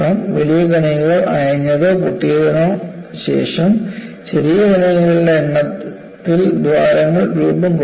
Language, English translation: Malayalam, After the large particles let loose or break, holes are formed at myriads of smaller particles